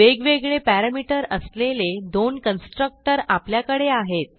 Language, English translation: Marathi, We have two constructor with different parameter